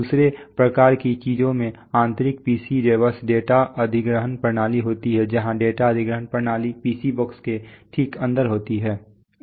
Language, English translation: Hindi, Second kinds of things have internal PC bus data acquisition systems where the data acquisition system strikes inside the PC box right